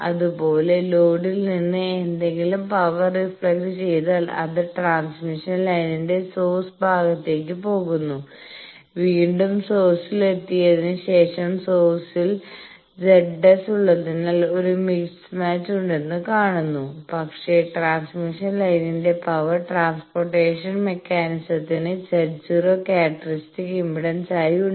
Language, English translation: Malayalam, Similarly, if any power is reflected from the load it is going to the source side to the same transmission line, and again after reaching the source it sees that there is a mismatch because source is having Z s, but the power transportation mechanism the transmission line is having the characteristic impedance as Z 0